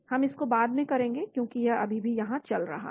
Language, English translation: Hindi, we will do that later because it is still running here